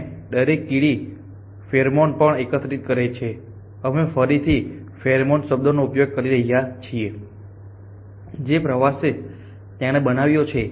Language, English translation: Gujarati, And each ant also deposits pheromone we just use at the pheromone again on the tour it constructs